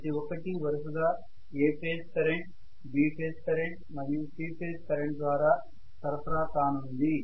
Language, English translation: Telugu, Each of them is going to be supplied by A phase current, B phase current and C phase current respectively